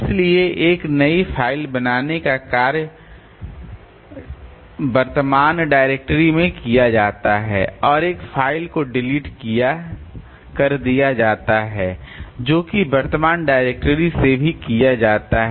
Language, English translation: Hindi, So, creating a new file is done in current directory and deleting a file so that is also done from the current directory